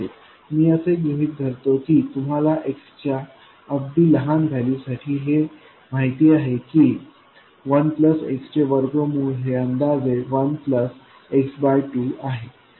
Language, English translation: Marathi, I assume you know this relationship for very small values of x, square root of 1 plus x is approximately 1 plus x by 2